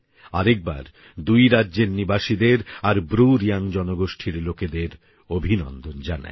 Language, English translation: Bengali, I would once again like to congratulate the residents of these states and the BruReang community